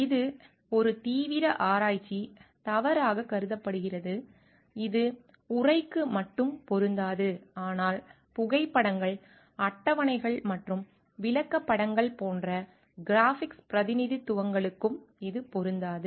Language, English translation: Tamil, It is considered as a serious research misconduct it just doesn t apply to text, but also to graphics representations such as photographs, tables and charts as well